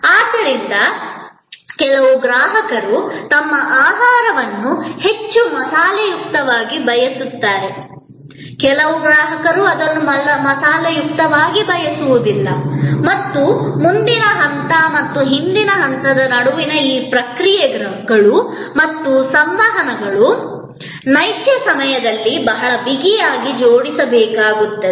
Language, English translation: Kannada, So, some customers way want their food more spicy, some customers may not want it spicy and all these responses and interactions between the front stage and the back stage have to be very tightly coupled in real time